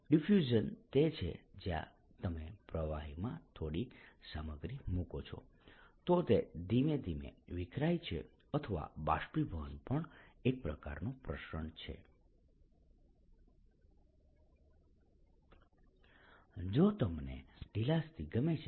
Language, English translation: Gujarati, diffusion is where if you put some material in a fluid, it starts diffusing slowly, or evaporation is also kind of diffusion, if you like, loosely